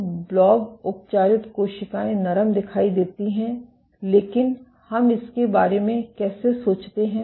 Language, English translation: Hindi, So, blebb treated cells appear softer, but how do we think about it